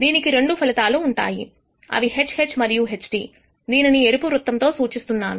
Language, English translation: Telugu, This consists of two outcomes HH and HT, which is indicated by this red circle